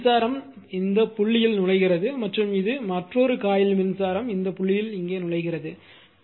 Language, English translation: Tamil, So, current is entering into the dot and this is a another coil is dot is entering marked here